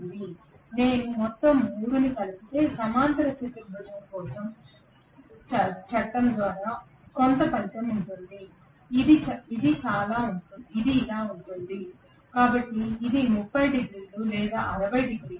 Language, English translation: Telugu, Now if I add all the 3 together right, I will have the resultant by parallelogram law of addition somewhat like this which is going to be like this, so this is about 30 degrees or 60 degrees